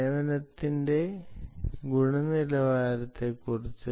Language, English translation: Malayalam, what about quality of service